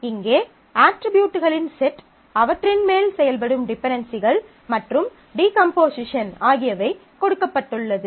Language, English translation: Tamil, So, here we have a set of attributes given the dependencies that work in that and a particular decomposition